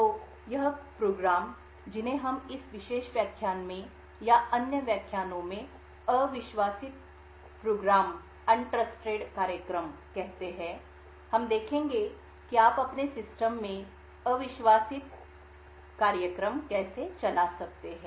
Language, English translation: Hindi, So these programs which we call as untrusted programs in this particular lecture and the lectures that follow we will see how you could run untrusted programs in your system